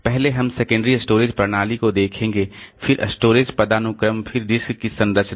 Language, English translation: Hindi, First we'll look into the secondary storage system, then storage hierarchy, then the structure of disk